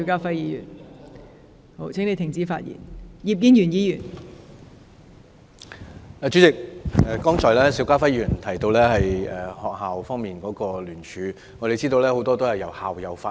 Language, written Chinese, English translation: Cantonese, 代理主席，邵家輝議員剛才提到學校方面的聯署，我們知道大部分由校友發起。, Deputy President just now Mr SHIU Ka - fai mentioned petitions from schools . We know most of them were initiated by alumni